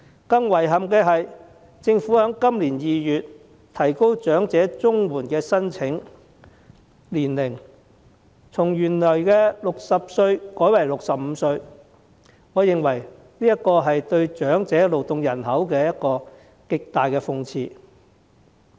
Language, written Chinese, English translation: Cantonese, 更遺憾的是，政府在今年2月提高長者綜合社會保障援助的申請年齡，從原來的60歲改為65歲，我認為這是對長者勞動人口的極大諷刺。, It is even more regrettable that in February this year the Government raised the eligible age for application for the Comprehensive Social Security Assistance for the elderly from 60 to 65 . I think this is the greatest irony to the elderly labour force